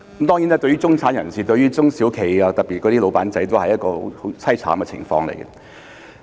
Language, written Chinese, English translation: Cantonese, 當然，中產人士和中小企，特別是小老闆，都處於很淒慘的情況。, Of course the middle class and small and medium enterprises SMEs especially proprietors of small businesses are in a miserable state